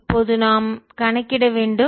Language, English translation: Tamil, so we want to solve the reading